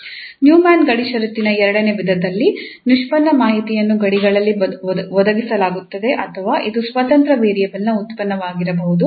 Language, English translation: Kannada, In the second type of Neumann boundary conditions, the derivative information is provided at the boundaries or it can be a function of independent variable